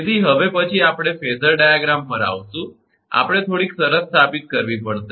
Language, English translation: Gujarati, Now, this next we will come to the phasor diagram, that we have to establish some condition